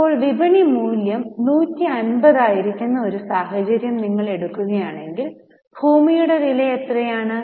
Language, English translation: Malayalam, Now if you take scenario A where the market value is 150, how much is a cost of land